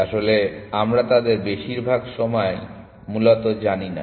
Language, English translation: Bengali, In fact, we do not know them most of the time essentially